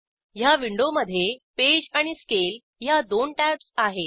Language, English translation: Marathi, This window contains two tabs Page and Scale